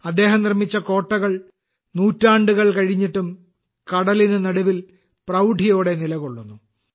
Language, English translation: Malayalam, The Seaforts built by him still stand proudly in the middle of the sea even after so many centuries